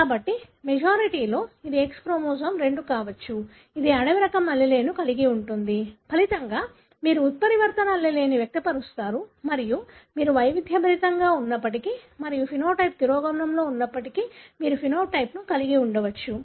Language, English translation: Telugu, So, it may be a chance that in majority it could be X chromosome 2 which carries the wild type allele may be inactive; as a result you express a mutant allele and you may end up having the phenotype, even though you are heterozygous and even though the phenotype is recessive